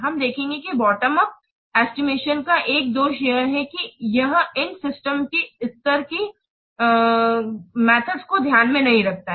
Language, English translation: Hindi, We will see one of the drawback of bottom of estimation is that it does not take into account these what system level activities